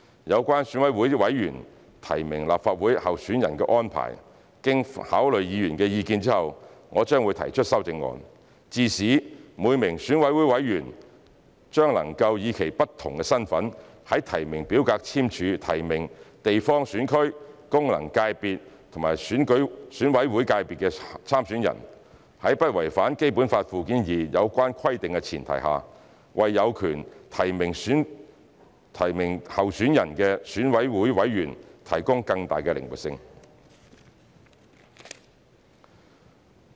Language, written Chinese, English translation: Cantonese, 有關選委會委員提名立法會候選人的安排，經考慮議員的意見後，我將會提出修正案，致使每名選委會委員將能以其不同身份在提名表格簽署提名地方選區、功能界別和選委會界別參選人，在不違反《基本法》附件二有關規定的前提下，為有權提名候選人的選委會委員提供更大的靈活性。, Regarding the arrangements for members of EC to nominate candidates for members of the Legislative Council after considering Members views I will propose an amendment such that each EC member can subscribe nomination forms using different capacities and nominate candidates in a geographical constituency GC FC or EC election . Under the premise of not violating the relevant provisions of Annex II to the Basic Law this allows the greatest flexibility for EC members who have the right to nominate candidates